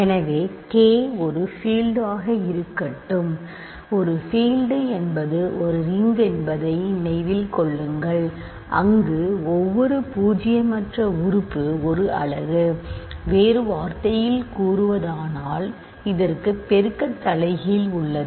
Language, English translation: Tamil, So, let K be a field remember a field is a ring where every non zero element is a unit; in other words, it has a multiplicative inverse